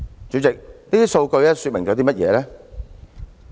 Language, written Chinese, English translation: Cantonese, 主席，這些數據說明了甚麼？, President what do these figures tell us?